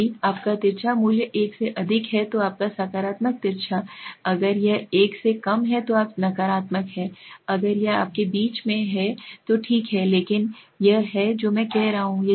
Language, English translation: Hindi, If your skewness value is greater than one then your positive skewed if it is less than one you are negative, if it is in between you are fine, but that is what I am saying